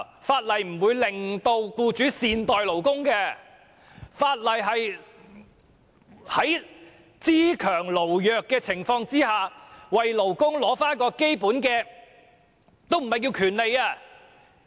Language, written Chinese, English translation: Cantonese, 法例並不會令僱主善待勞工，法例只是在"資強勞弱"的情況下為勞工取回基本的話語權而已。, Legislation will not make employers be good to their employees . Legislation only allows workers have a say under the situation of strong capitalists and weak workers